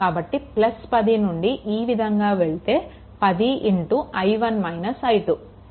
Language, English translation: Telugu, So, plus 10 is coming move like this, then 10 into i 1 minus i 2